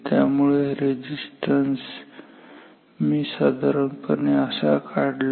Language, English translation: Marathi, So, if I draw this resistance simply like this